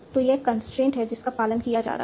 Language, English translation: Hindi, So, this is the constant that is being followed